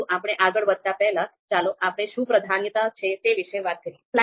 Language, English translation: Gujarati, So before we move ahead, let’s talk about what is priority